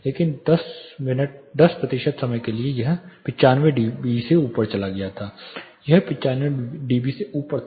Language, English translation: Hindi, But how high it went for 10 percent of the time it went above 95 dB, it was above 95 dB